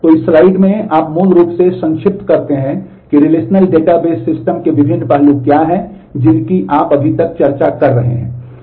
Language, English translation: Hindi, So, in this slide you summarize basically what are the different aspects of relational database systems which you have been discussing so far